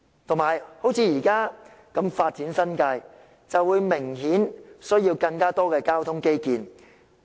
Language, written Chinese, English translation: Cantonese, 再者，新界如以這樣的方式發展，便明顯需要更多交通基建。, Moreover the New Territories if developed in such a manner will obviously necessitate more transport infrastructure